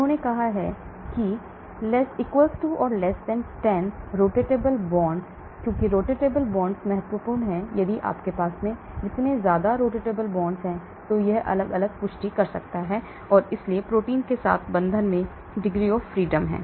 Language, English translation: Hindi, They said <= 10 rotatable bonds, why rotatable bonds are important because if you have more rotatable bonds, it can take up different confirmations and so the binding with proteins have large degrees of freedom